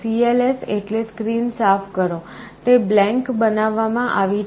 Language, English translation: Gujarati, cls means clear the screen, it is made blank